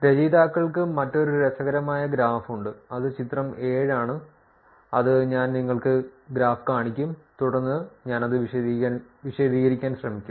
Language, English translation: Malayalam, There's another interesting graph that authors have which is figure 7, which I show you the graph and then I will try to explain it